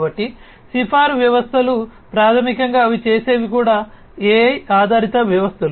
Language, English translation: Telugu, So, recommender systems basically what they do these are also AI based systems